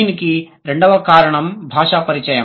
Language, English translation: Telugu, The second point is language contact